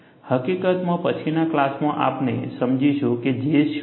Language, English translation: Gujarati, In fact, in the next class, we would understand what is J